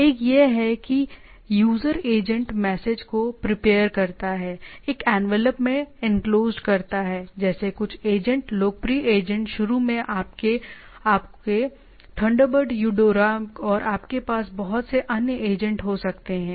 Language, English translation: Hindi, One is that user agent prepare the message, encloses in envelope, like some agents the popular agents initially your Thunderbird Eudora and you can have lot of other agents